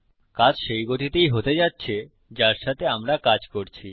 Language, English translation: Bengali, The action is going to be in the same pace that were working with